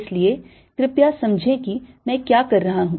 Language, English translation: Hindi, so please understand what i am doing